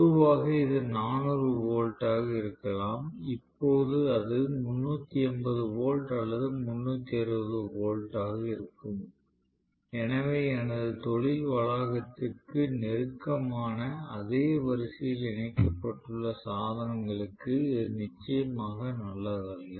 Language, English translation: Tamil, So, normally it may be 400 volts, now it may be 380 volts or 360 volts, so it is definitely not good for the equipment that are connected in the same line closer to my industry premises